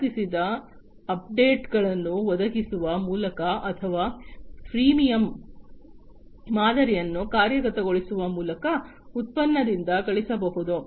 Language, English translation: Kannada, The product can be monetized by providing paid updates or by implementing a freemium model